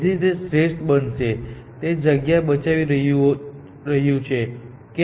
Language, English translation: Gujarati, So, it is going to be optimal; it is going to save on space; why